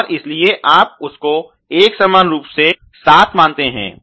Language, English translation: Hindi, And so, therefore, you treat that a seven uniformly although